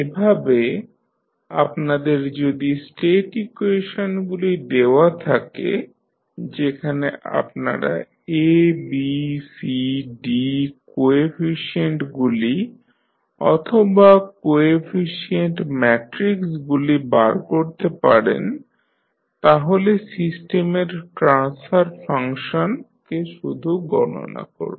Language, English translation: Bengali, So, if you are given the state equations where you can find out the A, B, C, D coefficients or the coefficient matrices you can simply calculate the transfer function of the system